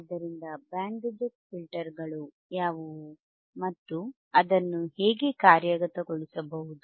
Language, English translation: Kannada, So, what are band reject filters and how it can be implemented